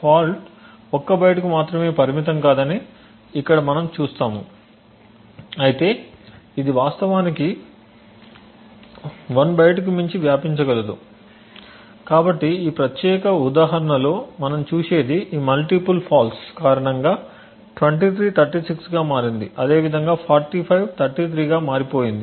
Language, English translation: Telugu, Here we see that the fault is not restricted to a single byte but rather it could actually spread to more than 1 byte so in this particular example what we see is that 23 has become 36 similarly 45 has changed to 33 due to this multiple faults